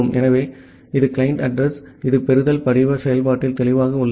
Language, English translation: Tamil, So, this is the client address which is clear in the receive form function